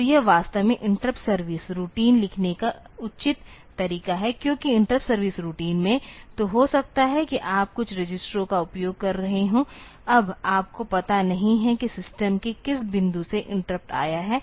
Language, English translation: Hindi, So, this is actually this is the proper way of writing interrupt service routine because in interrupt service routine; so you may be using some registers now you do not know from which point in the system; the interrupt has come